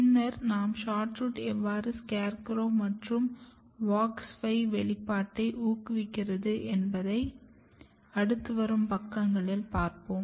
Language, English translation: Tamil, So, later on we will see that actually SHORTROOT activate expression of SCARECROW, and it activates the expression of WOX 5 which we will see in another slides